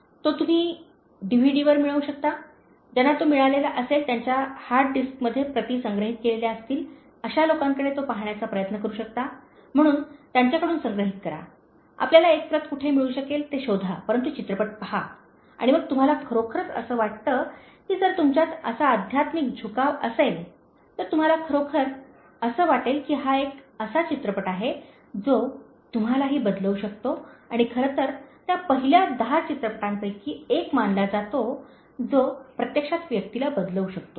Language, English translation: Marathi, So you can get it on DVD, you can try to watch it from people who might have even got it, copies stored it in their hard disk, so collect it from them, find out where you can get a copy, but watch the movie okay, and then you will really feel if you have that spiritual inclination in you, you would really feel that it is one movie that can change you also and in fact it is considered to be one of the top 10 movies that can actually change a person and many people have watched it, experience the change in themselves